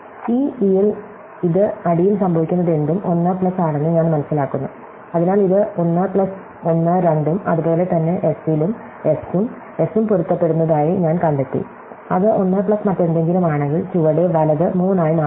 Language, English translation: Malayalam, So, at this e, I find that it is 1 plus whatever happens to the bottom, so it 1 plus 1 is 2 and likewise at s, I find that s and s match and it is 1 plus whatever is bottom right is becomes 3